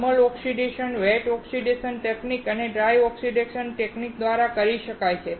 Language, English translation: Gujarati, Thermal oxidation can be done by wet oxidation technique and dry oxidation technique